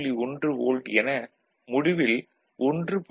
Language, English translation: Tamil, 1 volt, that is 1